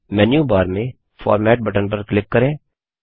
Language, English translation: Hindi, Click on Format button on the menu bar